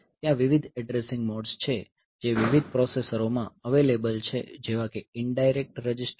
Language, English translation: Gujarati, So, there are various addressing modes the that are available in different processors like registered in indirect